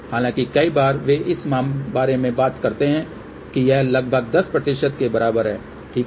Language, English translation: Hindi, The many a times, they do talk about this is approximately equal to 10, ok